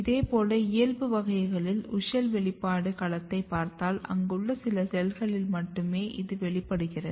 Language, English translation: Tamil, Similarly if you look WUSCHEL expression domain here in the wild type it is restricted very in the few cells here